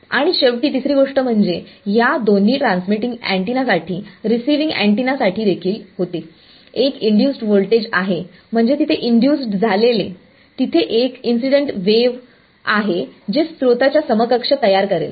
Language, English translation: Marathi, And finally, the third thing so, these are both for a transmitting antenna, for a receiving antenna also there is an induced voltage I mean induced there is a incident wave that will produce an equivalent of a source